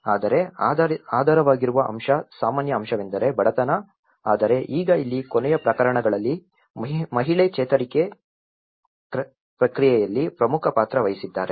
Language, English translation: Kannada, But the underlying aspect, common aspect is the poverty but now in the last cases here woman played an important role in the recovery process